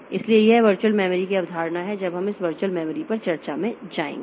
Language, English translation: Hindi, We will come to that when we go into this virtual memory discussion